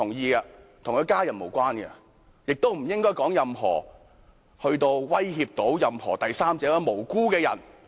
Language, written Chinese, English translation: Cantonese, 但事件與他的家人無關，亦不應發表任何言論威脅到第三者或無辜的人。, However the incident has nothing to do with his family and no one should make any speech which would threaten a third person or an innocent person